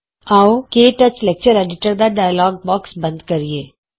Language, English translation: Punjabi, Let us close the KTouch Lecture Editor dialogue box